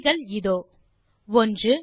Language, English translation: Tamil, And the answers, 1